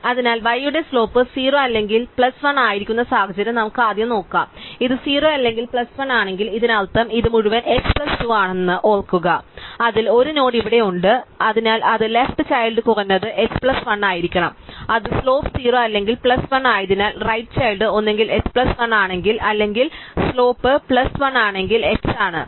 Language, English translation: Malayalam, So, let us first look at the situation where the slope of y is either 0 or plus 1, so if it is 0 or plus 1 it means that so remember this whole thing was h plus 2 of which 1 node is here, so it is left child must be at least h plus 1 and because it is slope is 0 or plus 1, the right child is either h plus 1 in case slope is 0 or it is h incase the slope is plus 1